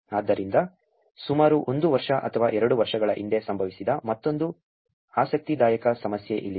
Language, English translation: Kannada, So, here is another interesting problem that happened about a year or two years back